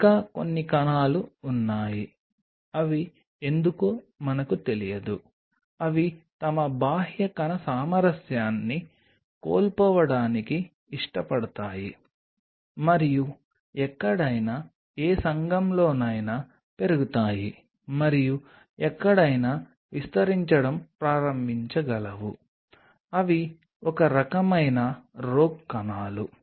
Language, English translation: Telugu, there are some cells who why they do, we do not know they prefer to lose their extracellular harmony and can grow anywhere, any community, and can start to proliferate anywhere